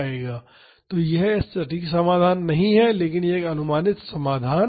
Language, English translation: Hindi, So, this is not an exact solution, but this is a approximate solution